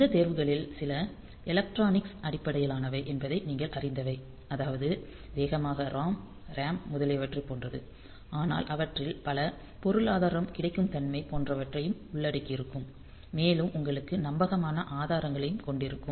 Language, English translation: Tamil, So, as you can see that some of these decisions are based on the electronics that we have like this speed amount of ROM RAM etcetera, but many of them are economic also like say availability of availability and you have reliable resource sources and all that